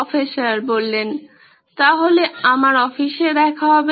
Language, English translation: Bengali, So see you in my office